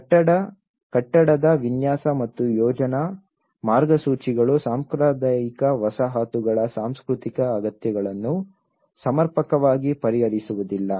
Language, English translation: Kannada, Building design and planning guidelines does not sufficiently address the cultural needs of traditional settlements